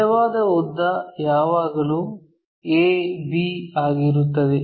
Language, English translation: Kannada, The true length always be a b